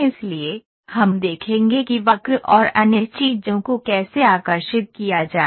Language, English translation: Hindi, So, we will see how to draw a curve and other things